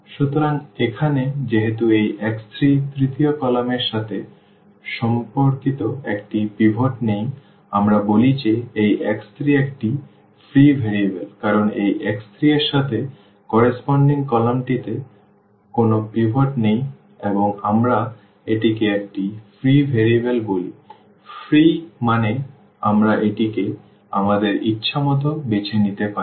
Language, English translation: Bengali, So, here since this x 3 corresponding to the x 3 the third column does not have a pivot, we call that this x 3 is a free variable because corresponding to this x 3 the column does not have a pivot and we call this like a free variable; free means we can choose this as we want